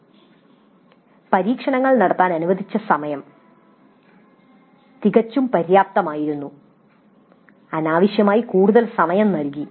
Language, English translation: Malayalam, The time provided for carrying out the experiments was totally inadequate to needlessly more time